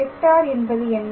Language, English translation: Tamil, So, what is the vector